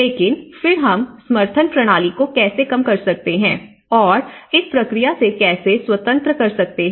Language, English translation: Hindi, But then how we can reduce the support system and so that how we can make them independent of this process